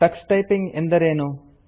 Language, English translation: Kannada, What is Tux Typing